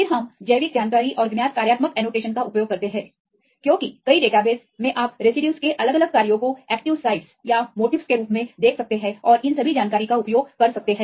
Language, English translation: Hindi, Then we use the biological information and the known functional annotation because the several databases you can see the residues different functions right as active sites or motif and so on, and using all these information